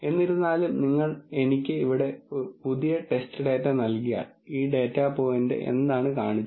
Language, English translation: Malayalam, However, if you give me a new test data here, so which is what you shown by this data point